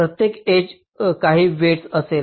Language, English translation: Marathi, ok, each edge will be having some weight